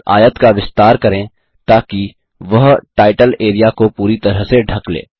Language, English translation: Hindi, Lets enlarge this rectangle so that it covers the title area completely